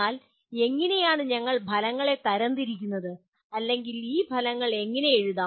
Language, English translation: Malayalam, But how do we classify outcomes or how do we write these outcomes